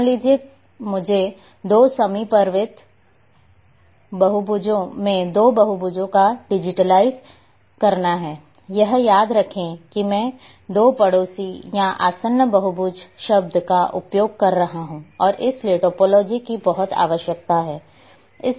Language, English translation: Hindi, Suppose, I have to digitize two polygons at two adjacent polygons, remember this I am using word two neighbouring or adjacent polygon and therefore the topology is very much required